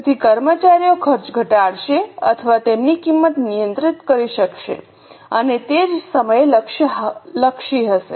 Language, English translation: Gujarati, So, employees will be able to cut down on costs or control their costs and at the same time there will be a goal orientation